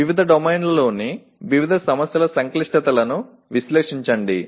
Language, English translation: Telugu, Analyze the complexities of various problems in different domains